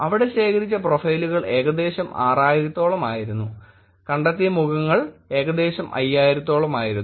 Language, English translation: Malayalam, The profiles that were collected here were about close to 6000 and the faces that were detected were about closed to 5000